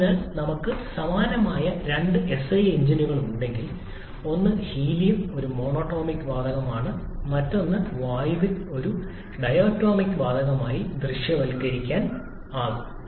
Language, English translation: Malayalam, So, if we have two identical SI engines, one working on say helium which is a monatomic gas and other working on say air which can be visualized to be a diatomic gas